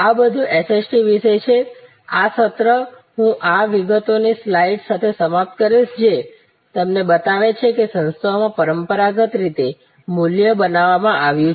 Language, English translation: Gujarati, So, that is all about SST, this session I will end with this particulars slide which shows you, the traditional way value has been created in organizations